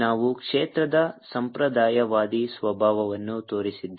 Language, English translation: Kannada, we showed the non conservative nature of the field